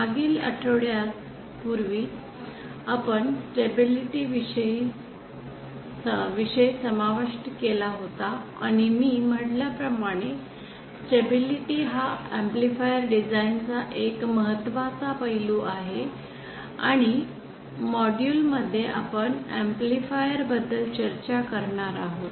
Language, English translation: Marathi, In the previous modules for the past few weeks we had covered the topic of stability and as I had said stability is the very important aspect of amplifier design, and in this module we will be covering about amplifier, about amplifier gain how to design an amplifier with a given gain